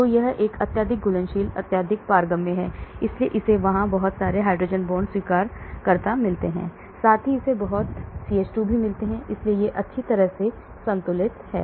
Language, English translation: Hindi, So it is got a highly soluble highly permeable, so it is got a lot of hydrogen bond acceptors there, at the same time it is got a lot of CH2 so it is nicely balanced